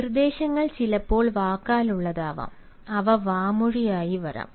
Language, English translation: Malayalam, instructions may sometimes also come verbally, they may also come orally